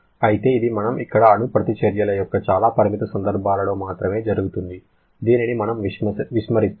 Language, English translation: Telugu, However, that happens only in very limited cases of nuclear reactions which we are neglecting here